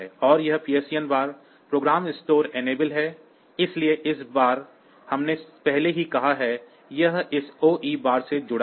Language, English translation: Hindi, And this PSEN bar is the program store enable, so again this we have already said, this connected to this OE bar